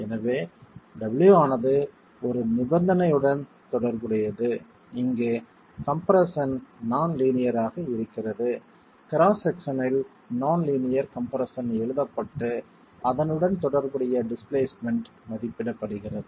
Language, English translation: Tamil, So, the W corresponding to a condition where you have compression in non linearity of compression in the cross section is written and the corresponding displacement is estimated